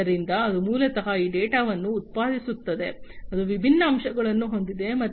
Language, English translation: Kannada, So, it is basically this data that is generated, it is it has different facets